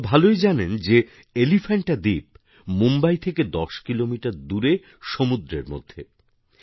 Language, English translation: Bengali, You all know very well, that Elephanta is located 10 kms by the sea from Mumbai